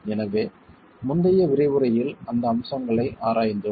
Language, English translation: Tamil, So, we have examined those aspects in the previous lecture